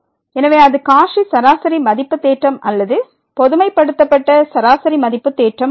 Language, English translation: Tamil, So, that is the Cauchy mean value theorem or the generalized mean value theorem